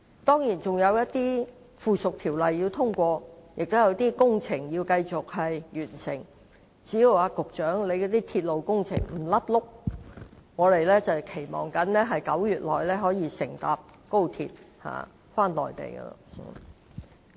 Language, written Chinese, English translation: Cantonese, 當然，仍要通過一些附屬條例，也有工程要繼續進行，只要局長負責的鐵路工程不"甩轆"，我們期望在9月乘搭高鐵往內地。, Of course we still have to deal with and pass some subsidiary legislation while some works are still in progress . As long as the Secretary responsible for the rail project does not goof up and derail the plan I expect that I can take XRL to the Mainland in September